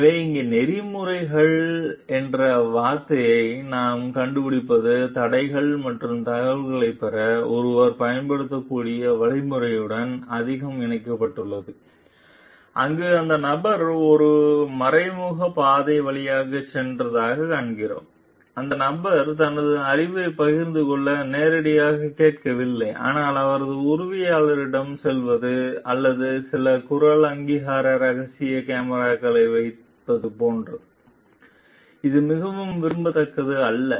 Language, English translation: Tamil, So, what we find the word ethics here is more connected with the constraints and the means one can use to obtain information like: there we find that person went through an indirect route like, not asking the person directly to share his or her knowledge, but going to his assistant or putting some voice recognition secret cameras etcetera which is not very desirable